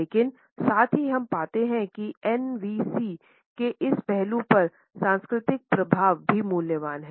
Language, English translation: Hindi, But at the same time we find that the cultural impact on this aspect of NVC is also valuable